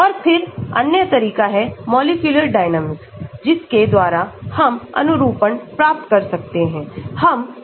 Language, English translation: Hindi, And then another approach is molecular dynamics by which we can also get conformation